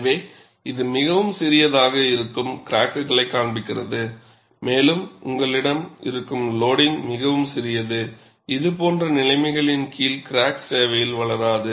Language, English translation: Tamil, So, that shows that cracks which are very smaller and also you have loading, which is quite small, under such conditions crack may not grow in service